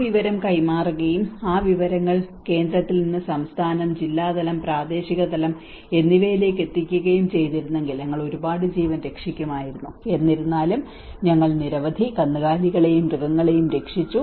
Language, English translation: Malayalam, If that information has been passed out and that information has been from central to the state, to the district level, and to the local level, we would have saved many lives we have saved many livestock and as well as animals